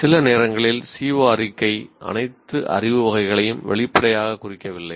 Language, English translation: Tamil, Sometimes the CO statement may not explicitly indicate all the concerned knowledge categories